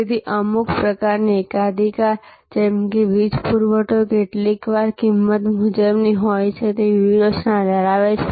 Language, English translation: Gujarati, So, certain types of state monopoly like the electricity supply, sometimes has this rip off strategy